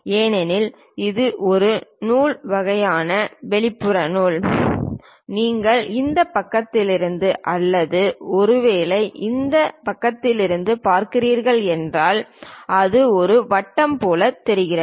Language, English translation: Tamil, Because its a thread kind of thing external thread, if you are looking from this side or perhaps from this side it looks like a circle